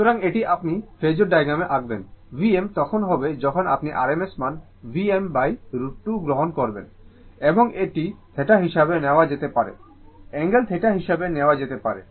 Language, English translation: Bengali, So, this can be written as in the terms of when you will draw the phasor diagram, V m when you take the rms value V m by root 2, and this one can be taken as theta, angle theta